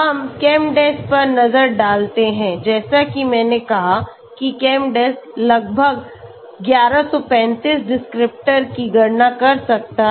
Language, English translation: Hindi, Let us look at ChemDes okay as I said ChemDes can calculate almost 1135 descriptors